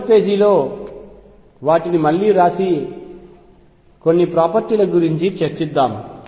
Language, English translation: Telugu, Let us rewrite them on the next page and discuss some of the properties